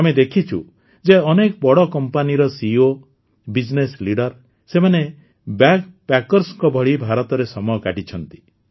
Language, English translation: Odia, We have seen that CEOs, Business leaders of many big companies have spent time in India as BackPackers